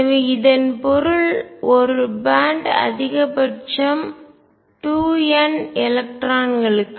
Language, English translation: Tamil, So, this means a band can accommodate maximum 2 n electrons